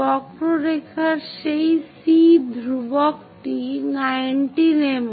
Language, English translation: Bengali, On that C constant of the curve is 19 mm